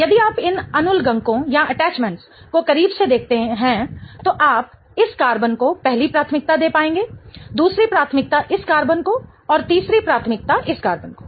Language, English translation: Hindi, If you closely look at these attachments then you will be able to give the first priority to this carbon, the second priority to this and the third priority to this following carbon